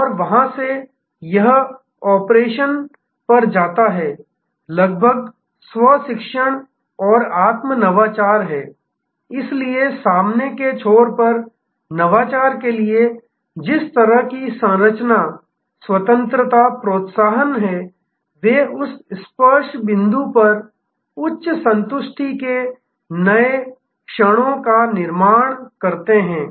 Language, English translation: Hindi, And from there, it goes to the operation is almost self learning and self innovating, so the people at the front end with the kind of structure freedom encouragement for innovation, they create new moments of high satisfaction at that touch points